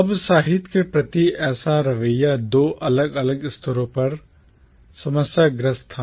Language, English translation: Hindi, Now such an attitude towards literature was problematic at two different levels